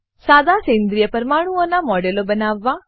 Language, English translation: Gujarati, * Create models of simple organic molecules